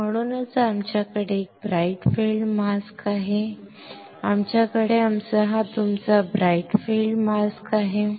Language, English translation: Marathi, So, that is why we have a bright field mask; we have our this one is your bright field mask